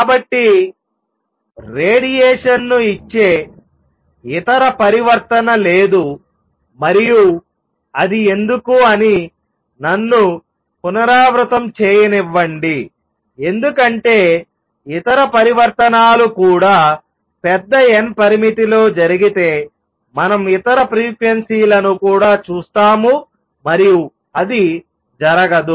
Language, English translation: Telugu, So, there is no other transition that gives out radiation and why is that let me repeat because if other transitions also took place in large n limit, we will see other frequencies also and that does not happens